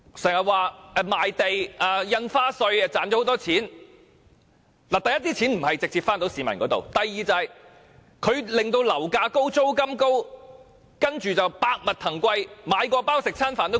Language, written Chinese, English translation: Cantonese, 可是，第一，這些錢沒有直接回到市民手上；第二，這些錢令樓價高、租金高，接着就百物騰貴，連買麪包或吃飯的價錢也昂貴。, However first the money is not paid back to the people directly . Second this sum of money gives rise to high property prices high rents and a high cost of living in general under which even bread or rice is costly . These are the costs that we pay and hence the surplus is not a godsend fortune